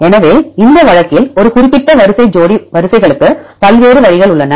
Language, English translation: Tamil, So, in this case there are various routes for a particular sequences pair of sequences